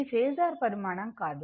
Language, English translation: Telugu, It is not a phasor quantity